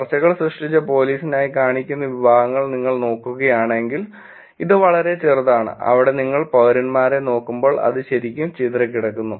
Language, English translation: Malayalam, If you look at the categories that are going to be shown up for the police created discussions, it's actually very small where as if you look at citizens it is actually quite disperse